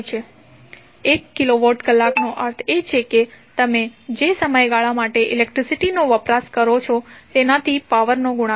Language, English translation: Gujarati, 1 kilowatt means the power multiplied by the the duration for which you consume the electricity